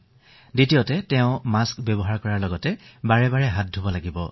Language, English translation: Assamese, Secondly, one has to use a mask and wash hands very frequently